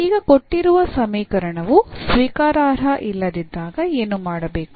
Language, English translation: Kannada, So, now what to be done when the given equation is not accept